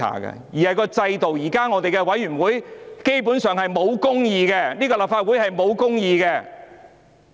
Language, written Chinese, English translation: Cantonese, 現在的委員會基本上不公義，立法會也是不公義。, The existing committees are basically unjust so is the Legislative Council